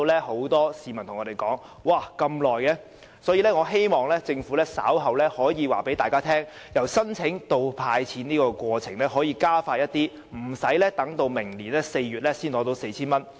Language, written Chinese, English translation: Cantonese, 很多市民問我們為甚麼要等這麼久，我希望政府稍後可以告訴大家，由申請到"派錢"的過程可否加快，令申請者無需待至明年4月才取得 4,000 元。, Many people asked us why the process took so long . I hope that the Government will inform us later if the process from application to payment can be expedited so that the applicants do not have to wait until April next year to receive 4,000